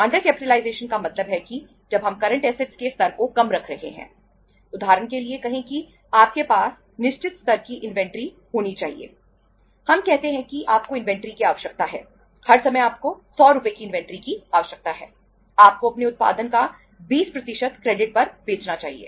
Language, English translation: Hindi, We say that you have the need the inventory, all the times you need the inventory of 100 Rs, you should be selling 20% of your production on the credit